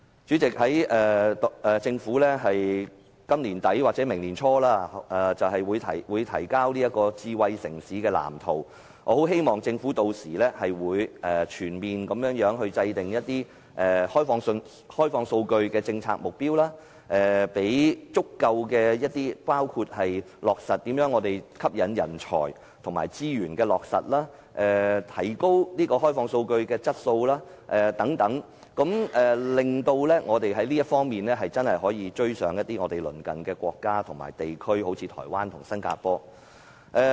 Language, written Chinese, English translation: Cantonese, 主席，政府在今年年底或明年年初便會公布智慧城市藍圖，我很希望政府屆時制訂全面的開放數據政策目標，包括如何吸引人才、資源落實和提高開放數據質素等，令我們在這方面可以追上鄰近國家和地區，例如台灣和新加坡。, President the Government will announce the blueprint for a smart city at the end of this year or early next year . I very much hope that the Government will then formulate a comprehensive policy target on the opening up of data including how to attract talent implement resources and improve the quality of data so that we can catch up with the neighbouring countries and regions such as Taiwan and Singapore in this respect